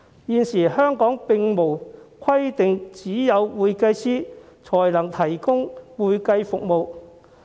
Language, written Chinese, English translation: Cantonese, 現時，香港並無規定只有會計師才能提供會計服務。, At present there is no requirement in Hong Kong that only certified public accountants can provide accounting services